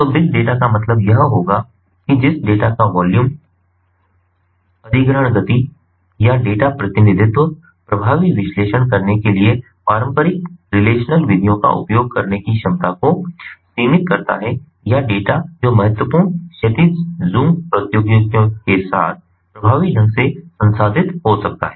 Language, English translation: Hindi, so big data shall mean that the data of which the volume, acquisition speed or data representation limits the capacity of using traditional relational methods to conduct effective analysis, or the data which may be effectively processed with important horizontal zoom technologies